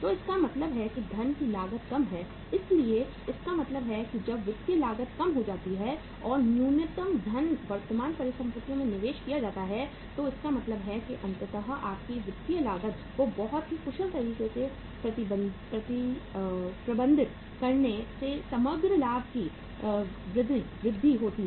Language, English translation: Hindi, So it means the cost of funds is low so it means when the financial cost goes down and the minimum funds are invested in the current assets so it means ultimately managing your financial cost in a very efficient manner leads to the overall increased profitability